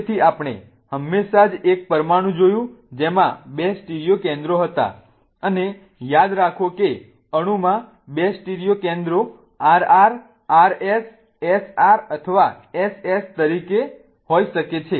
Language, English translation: Gujarati, So, we just looked at a molecule in which there were two stereocenters and remember that molecule can have the two stereocenters as RR, R S, S, R S, or S